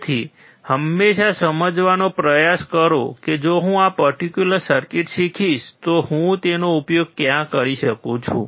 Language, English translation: Gujarati, So, always try to understand that if I learn this particular circuit, where can I use it